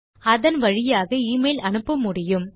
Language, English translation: Tamil, You will be able to send an email through that